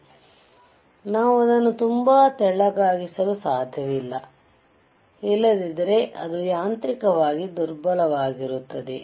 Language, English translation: Kannada, jJust to understand that, we cannot make it too thin, otherwise it will be mechanically weak